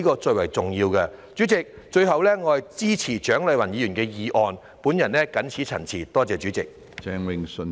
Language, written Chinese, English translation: Cantonese, 主席，最後，我支持蔣麗芸議員的議案，我謹此陳辭，多謝主席。, President lastly I express my support for Dr CHIANG Lai - wans motion . I so submit . Thank you President